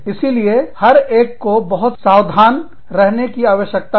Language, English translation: Hindi, So, one has to be very careful